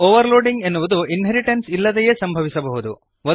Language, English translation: Kannada, Overloading can occurs without inheritance